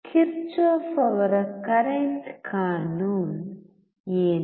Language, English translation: Kannada, What is Kirchhoff’s current law